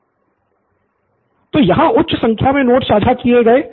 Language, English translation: Hindi, So here high number of notes shared